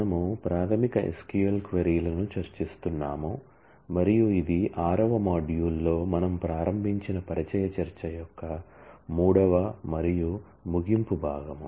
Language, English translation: Telugu, We have been discussing basic SQL queries and this is the third and closing part of that introductory discussion that we started in the 6th module